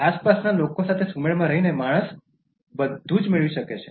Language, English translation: Gujarati, By living in harmony with the surrounding, man can gain everything